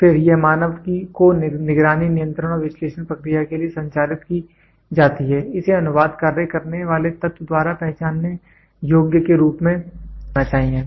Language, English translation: Hindi, Then this municated to the human being for monitoring, control and analysis process, it must be put into the form of recognizable but one of the elements performs the translation function